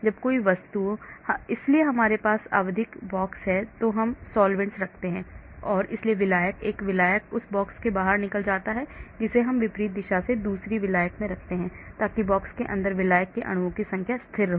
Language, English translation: Hindi, When an object; so we have periodic box and we keep the solvents so when the solvent, one solvent goes out from the box we put in another solvent from the opposite direction so the number of solvent molecules inside the box is constant